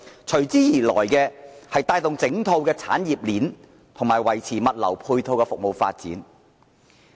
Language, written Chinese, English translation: Cantonese, 隨之而來，便是帶動整套產業鏈及維持物流配套的服務發展。, This has then driven the entire industry chain forward and sustained relevant logistical and ancillary services